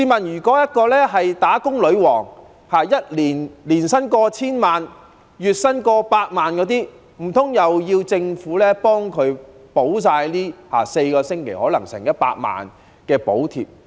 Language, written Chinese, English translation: Cantonese, 如果一位"打工女王"的月薪過百萬元、年薪過千萬元，難道要政府替她補貼4星期可能差不多100萬元的補貼？, In the case of a female employee earning more than 1 million per month or more than 10 million per year does the Government need to reimburse nearly 1 million for her four weeks maternity leave pay?